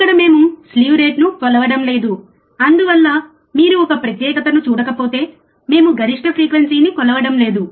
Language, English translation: Telugu, Here we are not measuring the slew rate that is why if you do not see a separate we are not measuring maximum frequency